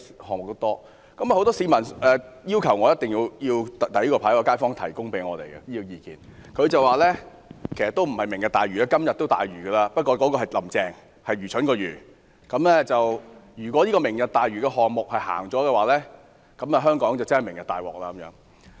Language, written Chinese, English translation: Cantonese, 很多市民要求我舉起這個標語牌，它顯示了一名街坊向我們表達的意見：不是"明日大嶼"，而是"今日大愚"——指的是"林鄭"，而且是愚蠢的"愚"；如果"明日大嶼"項目推行，香港便真的"明日大鑊"。, Many members of the public have urged me to display this placard which reflects the views conveyed to us by a resident . Instead of Lantau Tomorrow it reads Lunacy Today―Carrie LAM is a lunatic . Should the Lantau Tomorrow project be implemented it will be Catastrophe Tomorrow for Hong Kong